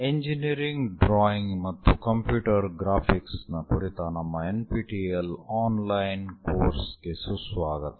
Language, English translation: Kannada, Welcome to our NPTEL online courses on Engineering Drawing and Computer Graphics